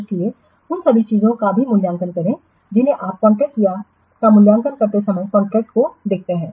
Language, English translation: Hindi, So, also all those things you should evaluate while what looking at the contracts while evaluating the contracts